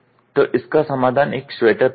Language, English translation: Hindi, So, the solution is wear a sweater